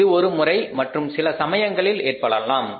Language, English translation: Tamil, It can happen once or maybe sometime once in a while